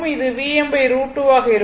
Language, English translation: Tamil, It will be V m by root 2 right